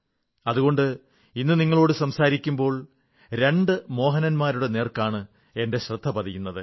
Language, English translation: Malayalam, And that's why today, as I converse with you, my attention is drawn towards two Mohans